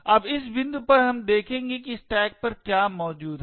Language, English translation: Hindi, Now at this point we shall look at what is present on the stack